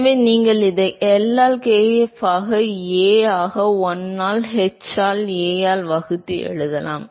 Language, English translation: Tamil, So, you can rewrite it as L by kf into A divided by 1 by h into A